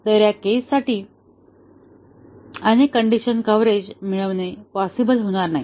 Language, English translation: Marathi, So, multiple condition coverage would not be possible to achieve for this case